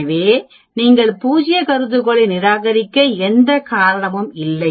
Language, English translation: Tamil, So there is no reason for you to reject the null hypothesis